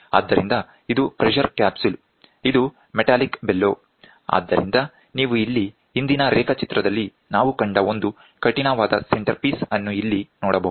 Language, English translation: Kannada, So, this is a pressure capsule, this is metallic bellow so, you can see here a rigid centerpiece what we saw in the previous diagram we have it here